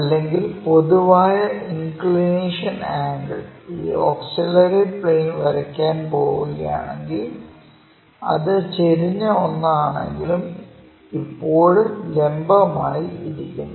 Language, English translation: Malayalam, So, the general inclination angle, if we are going to draw that this auxiliary plane; so, inclined one, but still perpendicular